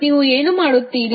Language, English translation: Kannada, What you will do